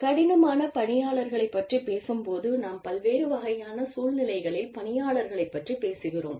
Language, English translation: Tamil, You know, when we talk about difficult employees, we are talking about employees, in different kinds of situations